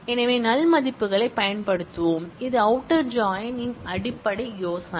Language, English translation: Tamil, So, we will use null values this is the basic idea of outer join